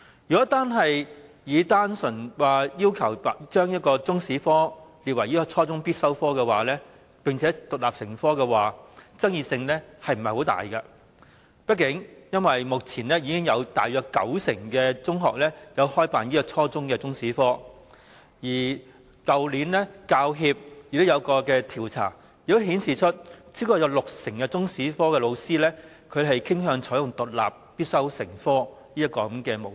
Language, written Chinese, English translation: Cantonese, 如果只是單純地要求把中史列為初中必修科並獨立成科，相信爭議性不會很大，因為畢竟目前已有約九成中學開辦初中中史科，而去年香港教育專業人員協會進行的一項調查亦顯示，超過六成中史科教師傾向採用獨立必修成科的模式。, If the issue purely involves stipulating Chinese History as a compulsory and independent subject at junior secondary level I think it will not be too controversial . After all at present about 90 % of secondary schools offer Chinese History at junior secondary level . In a survey conducted by the Hong Kong Professional Teachers Union HKPTU last year it was also revealed that over 60 % of Chinese History teachers preferred adopting the mode of making the subject independent and compulsory